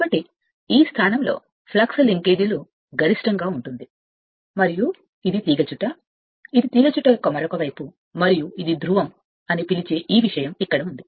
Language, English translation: Telugu, So, at this position your what you call the flux linkages will be maximum and this is the other side of the coil the back coil and this is this thing you just out of this here what you call this pole